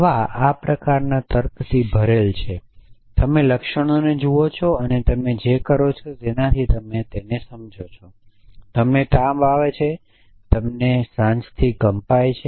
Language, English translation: Gujarati, Medicine is full of this kind of reasoning you look at symptoms and you make inference has to what has happen to you; you have fever you have shivering in the evenings